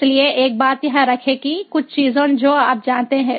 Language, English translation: Hindi, so so remember one thing, couple of things you know